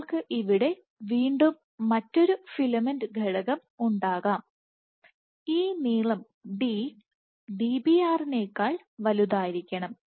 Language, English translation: Malayalam, So, this is you can have another filament element over here again this length d has to be greater than Dbr